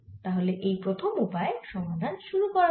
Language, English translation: Bengali, so let us proceed in this first way of doing this problem